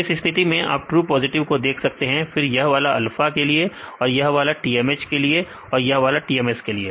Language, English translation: Hindi, So, in this case you can see the true positive; then one you this for the alpha, this is for the TMH and this is for the TMS